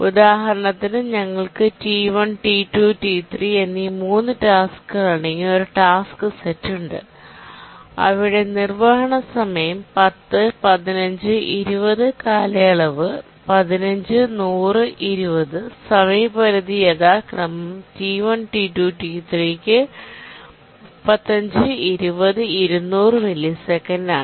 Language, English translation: Malayalam, We have a task set of three tasks T1, T2, T3, and their execution times are 10, 25 and 50 milliseconds, periods are 50, 150, and 200